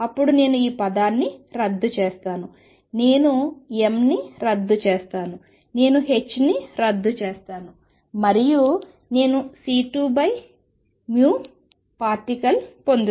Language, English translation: Telugu, Then I cancel this term I cancel m, I cancel h and I get c square over v particle